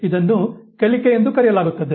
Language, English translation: Kannada, This is called learning